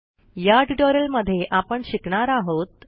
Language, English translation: Marathi, In this tutorial we will learn the followings